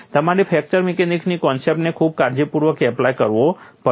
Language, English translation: Gujarati, You have to apply fracture mechanic concepts very, very carefully